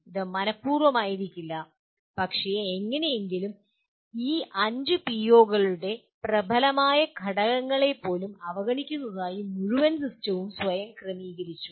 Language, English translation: Malayalam, It might not be intentional but it somehow over the period the entire system has adjusted itself to kind of ignore many dominant elements of even these 5 POs